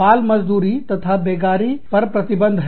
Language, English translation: Hindi, Prohibitions against child labor and forced labor